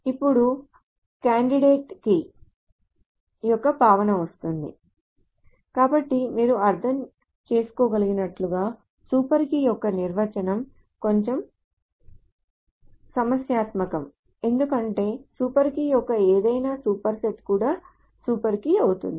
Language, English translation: Telugu, So as you can understand that the super key, the definition of super key is a little bit problematic because any super set of a super key is also a super key